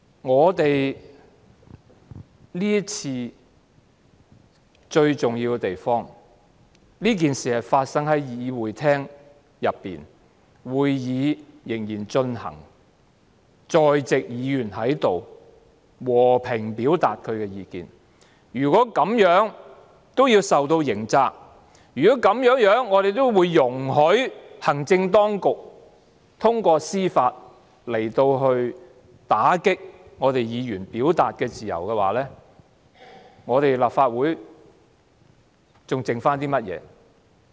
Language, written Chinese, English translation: Cantonese, 這次事件最重要的一點是，事情發生在會議廳內，當時會議仍在進行中，在席議員只是和平表達意見，如果這樣也要負上刑責，如果我們容許行政當局通過司法程序打擊議員的表達自由，那麼立法會還剩下甚麼呢？, At that time the meeting was still proceeding . The Members present only expressed their views peacefully . If they have to bear criminal liability for this and if we allow the Administration to undermine Members freedom of expression through judicial proceedings then what is left of the Legislative Council?